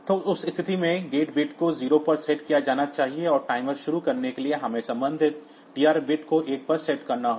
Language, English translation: Hindi, So, in that case the gate bit should be set to 0, and to start the timer we have to set the corresponding TR bit to one